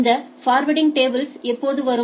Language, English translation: Tamil, Now, where do the forwarding tables come from